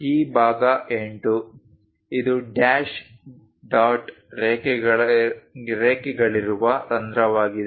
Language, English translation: Kannada, This part is 8; this is the hole with dash dot lines